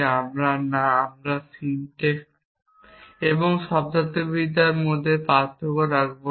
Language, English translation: Bengali, We are doing syntax and semantics at the same time